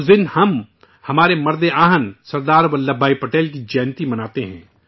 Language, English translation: Urdu, On this day we celebrate the birth anniversary of our Iron Man Sardar Vallabhbhai Patel